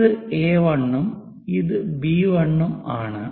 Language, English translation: Malayalam, This is A 1; A 1 and B 1 is this